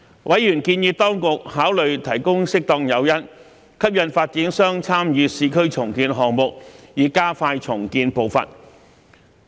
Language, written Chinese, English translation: Cantonese, 委員建議當局考慮提供適當誘因，吸引發展商參與市區重建項目，以加快重建步伐。, Members suggested that the Administration should consider providing appropriate incentives to attract developers to participate in urban redevelopment projects with a view to expediting the redevelopment process